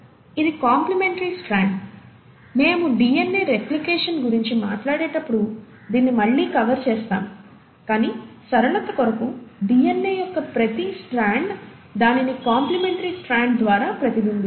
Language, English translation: Telugu, So the complimentary strand, we’ll cover this again when we talk about DNA replication, but for the simplicity sake, each strand of DNA mirrors it through a complimentary strand